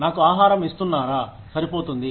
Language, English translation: Telugu, Am I being compensated, enough